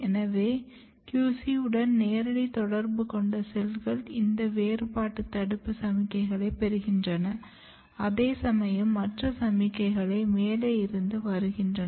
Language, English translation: Tamil, So, the cells which are in direct contact with the QC they are receiving this differentiation inhibition signals, whereas these signals are coming from top